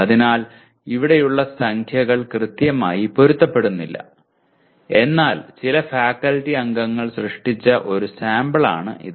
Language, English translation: Malayalam, So the numbers here do not exactly match but this is one sample as created by some faculty members